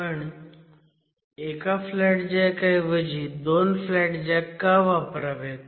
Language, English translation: Marathi, You actually use two flat jacks now, not one flat jack